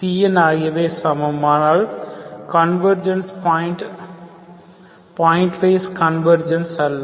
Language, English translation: Tamil, Cns are same but the convergence here is not point wise, not point wise convergence